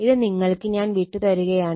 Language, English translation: Malayalam, So, this one I am leaving up to you right